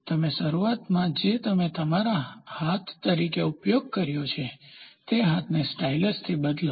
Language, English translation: Gujarati, You initially what you used as your hand now, replace the hand by a stylus